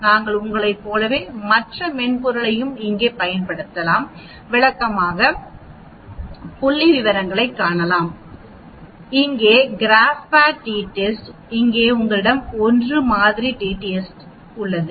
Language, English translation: Tamil, But we can use the other software here as you can see descriptive statistics, t test here the GraphPad, here you have the 1 sample t test